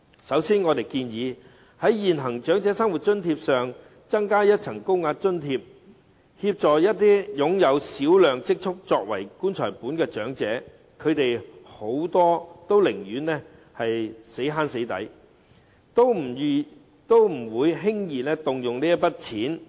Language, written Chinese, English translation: Cantonese, 首先，我們建議在現行長生津上增加一層高額津貼，以協助一些擁有小量積蓄作為"棺材本"的長者，他們很多寧願省吃儉用，也不會輕易動用這筆金錢。, First of all we suggest adding a tier of higher payment to the existing OALA to help those elderly people who have a small amount of savings as their funeral money . Many of them would rather live a frugal life than using this sum of money casually